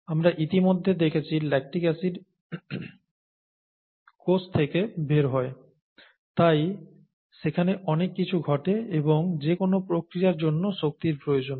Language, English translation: Bengali, We already saw lactic acid going out of the cell and so many things happen there and any process requires energy